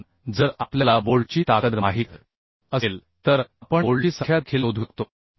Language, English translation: Marathi, So if we know the strength of the bolt then we can find out the number of bolts also